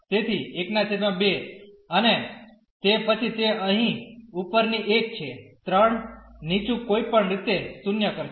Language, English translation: Gujarati, So, 1 by 2 and then that is post the upper one here 3 lower one will make anyway 0